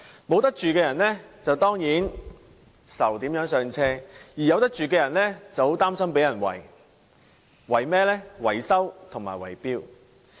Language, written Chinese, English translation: Cantonese, 沒得住的人當然為如何"上車"而煩惱，而有得住的人則很擔心被人"圍"。, People without any property are upset certainly because they are at a loss as to how they can buy their first home whereas people with a property are worried about being ripped off